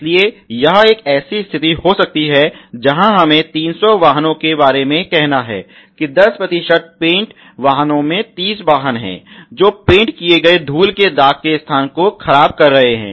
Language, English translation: Hindi, So, it they may be a situation where an shift of let us say about 300 vehicles about 10 percent paint vehicles are 30 vehicles are seeing paint spoil paint dust spots of the painted body